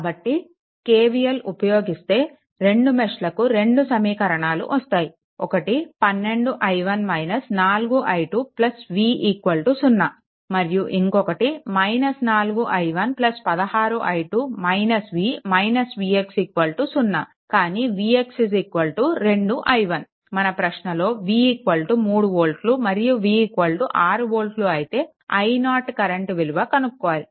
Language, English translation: Telugu, So, KVL if you apply so, two meshes you will get 2 equations right one is 12 i 1 minus 4 i l 2 plus v is equal to a 0 and then will get minus 4 i 1 plus 16 i 2 minus v minus v x is equal to 0, but v x is equal to 2 i 1 right if you look into that, this voltage is v and it is given once you find out i 0 when v is equal to 3 volt and v is equal to 6 volts